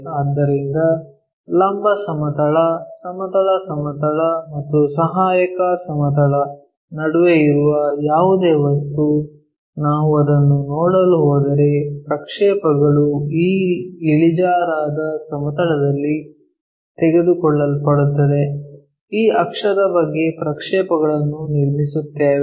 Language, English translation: Kannada, So, any object which is in between vertical plane, horizontal plane and auxiliary plane, the projections if we are going to see it that will be taken on this inclined plane; about this axis we construct the projections